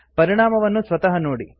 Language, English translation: Kannada, See the result for yourself